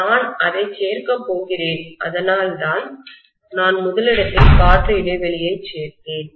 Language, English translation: Tamil, I am going to include that that is why I included the air gap in the first place